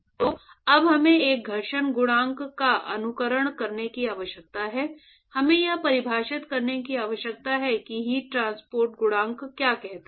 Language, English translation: Hindi, So, now, we need to simulate a friction coefficient, we need to define what is called the heat transport coefficient